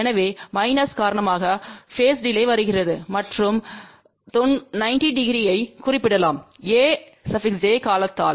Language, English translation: Tamil, So, minus comes because of the phase delay and a 90 degree can be represented by a j term